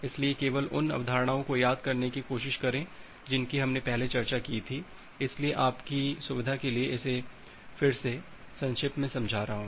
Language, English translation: Hindi, So, just try to remember the concepts that we discussed earlier, so just briefly explaining it again for your convenience